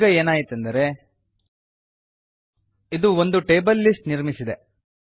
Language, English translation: Kannada, So what has happened is it has created a list of tables